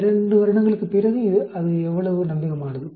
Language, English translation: Tamil, After 2 years how reliable it is